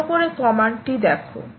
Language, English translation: Bengali, so let us see the command